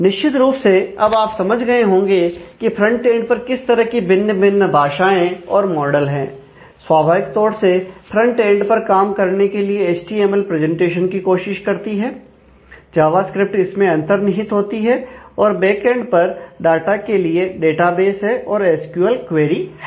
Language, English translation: Hindi, Now, certainly you can understand that at the frontend, if we if we talk about what are different you know languages and models, that we are working within the frontend naturally our language is HTML tries for presentation, embedded with java script, at the backend in the data it is the database and the SQL query